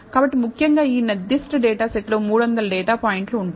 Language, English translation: Telugu, So, essentially this particular data set contains 300 data points